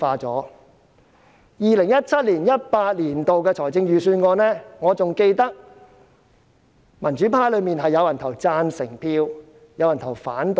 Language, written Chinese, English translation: Cantonese, 就 2017-2018 年度的預算案，我記得民主派中有人表決贊成，有人表決反對。, Regarding the 2017 - 2018 Budget I remember that some Members of the pro - democracy camp voted in favour of it while some voted against it